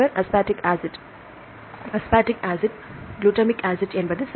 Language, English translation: Tamil, Aspartic acid, glutamic acid right